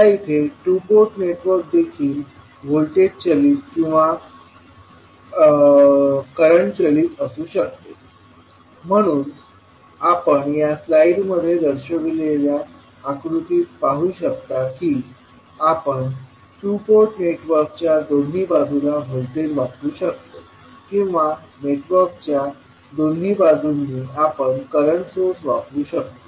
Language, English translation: Marathi, So basically the two port network in this case also can be the voltage driven or current driven, so you can see the figure shown in this slide that you can either apply voltage at both side of the two port network or you can apply current source at both side of the network